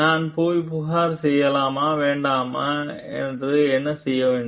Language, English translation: Tamil, So, what should I do should I go and complain or not